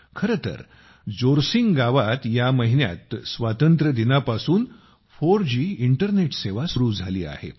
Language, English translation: Marathi, In fact, in Jorsing village this month, 4G internet services have started from Independence Day